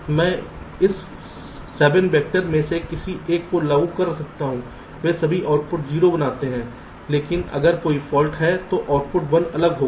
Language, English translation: Hindi, this seven vectors, they all make output zero, but if there is a fault, output will be one different right now